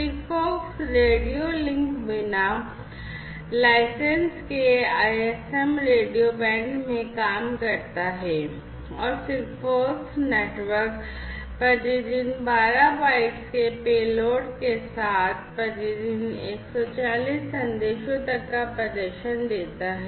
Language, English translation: Hindi, SIGFOX radio link operates in the unlicensed ISM radio bands and the SIGFOX network gives a performance of up to 140 messages per day, with a payload of 12 bytes per message